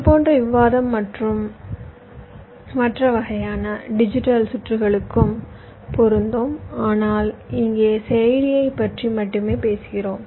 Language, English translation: Tamil, well, similar kind of discussion can apply to other kind of digital circuits also, but we are simply talking about ah processor here